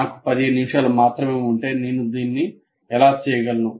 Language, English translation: Telugu, And whether if I have only 15 minutes, how do I go about doing it